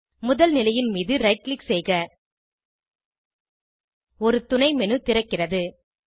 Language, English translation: Tamil, Right click on the first position, a Submenu opens